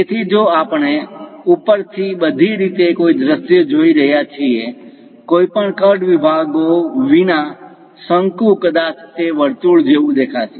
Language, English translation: Gujarati, So, if we are looking at a view all the way from top; a cone without any cut sections perhaps it might looks like a circle